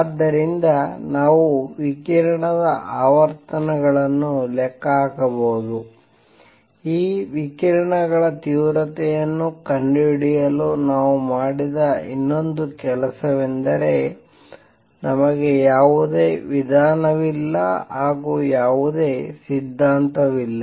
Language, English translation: Kannada, So, we could calculate the frequencies of radiation, the other thing we did was to calculate to find intensities of these radiations, we have no recipe, no theory